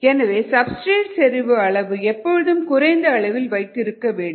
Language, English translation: Tamil, so the substrate needs to be maintain at a certain low concentration